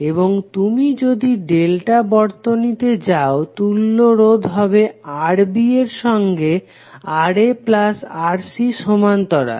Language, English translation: Bengali, And if you go to the delta circuit, the equivalent resistance would be Rb and Rb will have parallel of Rc plus Ra